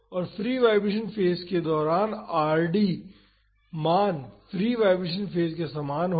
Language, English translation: Hindi, And, during the free vibration phase the Rd value will be similar to the free vibration phase